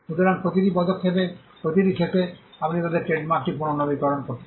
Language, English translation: Bengali, So, at every end of every term, you can renew their trademark and keep it alive